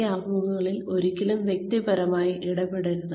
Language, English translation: Malayalam, Do not ever get personal in these interviews